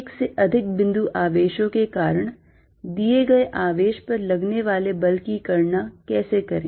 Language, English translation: Hindi, How calculate force on a given charge due to more than one point charge